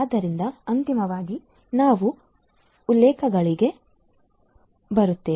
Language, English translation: Kannada, So, finally, we come to the references